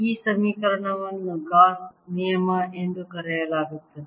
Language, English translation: Kannada, this is similar to the integral form of gauss's law